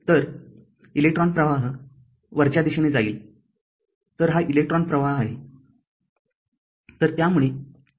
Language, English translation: Marathi, So, electron flow will be upwards So, this is that electron flow